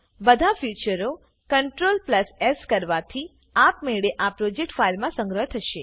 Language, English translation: Gujarati, All future CTRL + S will automatically save into this project file